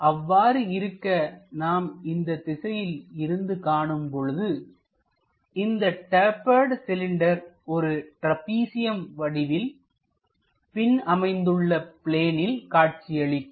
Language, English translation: Tamil, So, if that is the case, if we are observing from this direction, the projection of this taper cylinder comes as a trapezium on the other plane